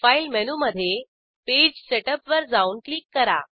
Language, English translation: Marathi, Go to File menu, navigate to Page Setup and click on it